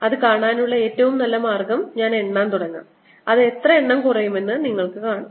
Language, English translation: Malayalam, best way to see that is: i'll start counting and you will see how many counts it takes